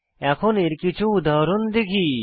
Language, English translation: Bengali, Lets us see some examples now